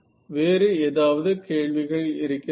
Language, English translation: Tamil, So, any other questions ok